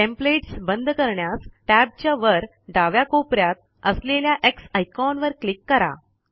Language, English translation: Marathi, To close the template, click the X icon on the top left of tab